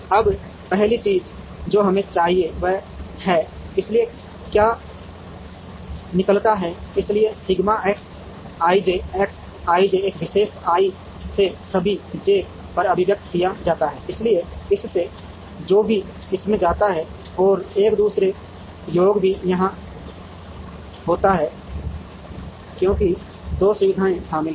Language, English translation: Hindi, Now, the first thing that we require is this, so what goes out, so sigma X i j, X i j from a particular i summed over all j, so from this whatever goes into this and there is a second summation also here, because 2 facilities are involved